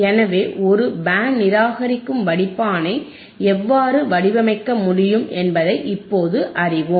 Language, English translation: Tamil, So, now we know how we can design a band reject filter right easy